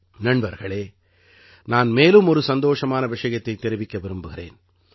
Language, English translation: Tamil, Friends, I want to share with you another thing of joy